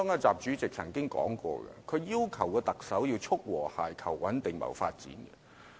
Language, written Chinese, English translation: Cantonese, 習主席曾經說過，他要求特首要"促和諧、求穩定、謀發展"。, President XI once said that he hoped the Chief Executive could promote harmony maintain stability and pursue development